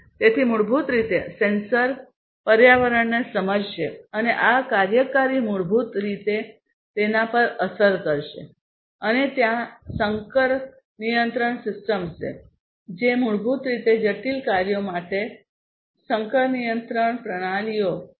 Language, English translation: Gujarati, So, basically the sensors would sense the environment and these actuators will basically influence it and there is hybrid control system these are basically hybrid control systems for complex tasks